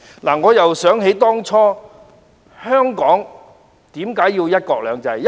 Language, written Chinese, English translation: Cantonese, 回想當初，香港為何要有"一國兩制"？, In retrospect why was it necessary for Hong Kong to have one country two systems?